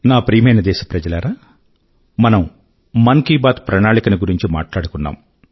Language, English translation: Telugu, My dear countrymen, we touched upon the Mann Ki Baat Charter